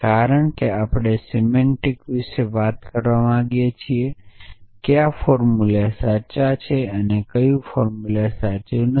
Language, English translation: Gujarati, Because we want to talk about the semantic in terms of which formula is are true and which formula is are not true